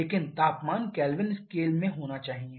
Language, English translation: Hindi, So, it is mandatory to convert it to Kelvin